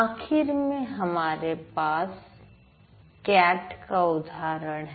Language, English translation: Hindi, Then finally we have cat